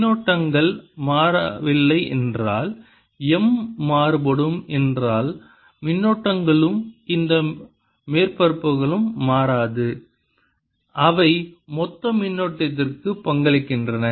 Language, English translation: Tamil, if the currents don't change, that means if m varies, then the currents and these surfaces do not change and they contribute to the bulk current